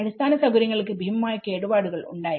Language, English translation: Malayalam, This is a huge infrastructure has been damaged